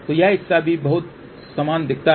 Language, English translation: Hindi, So, this part also looks very very similar